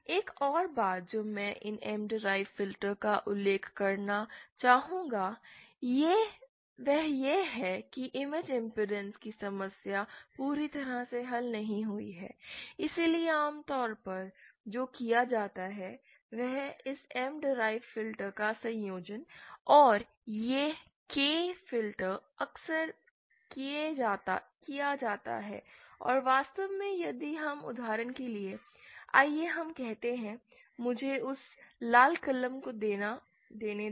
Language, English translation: Hindi, the problem of image impedance is not solved entire, so what is done usually is a combination of this M derived filter and this k filter is often done and actually if we do that, for example let’s say, let me take that red pen